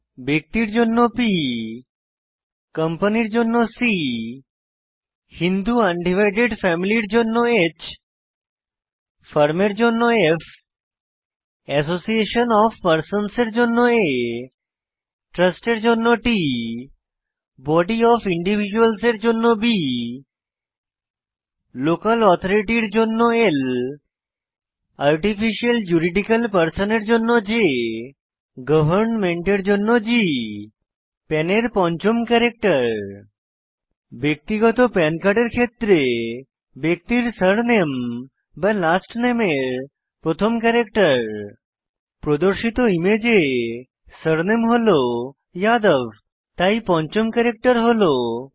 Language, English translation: Bengali, Each assess is uniquely P for Person C for Company H for HUF i.e Hindu Undivided Family Ffor Firm A for AOP i.e Association of Persons T for Trust B for BOI i.e Body of Individuals L for Local Authority J for Artificial Juridical Person and G for Government The fifth character of the PAN is the first character of the surname or last name of the person, in the case of a Personal PAN card In the image shown, the surname is Yadav